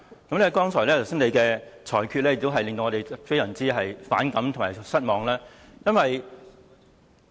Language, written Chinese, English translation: Cantonese, 主席剛才的裁決，也令我們非常反感和失望。, The decision of the President just now is extremely offensive and disappointing